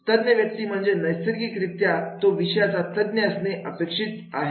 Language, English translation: Marathi, So experts is naturally is supposed to be from the subject expert